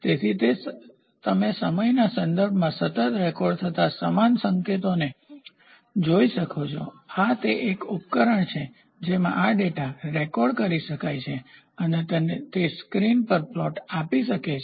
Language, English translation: Gujarati, So, you can see the analogous signal continuously recorded with respect to time, this is a device wherein which this data can be recorded and it can also nowadays, it can also give a plot from the screen itself